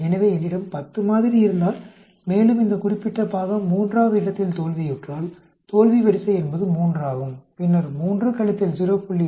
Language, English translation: Tamil, So, if I have 10 sample and this particular part fails at the third position, failure order is 3 then 3 minus 0